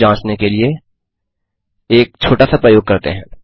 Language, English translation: Hindi, To check that lets do a small experiment